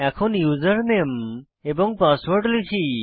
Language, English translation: Bengali, Let me enter the Username and Password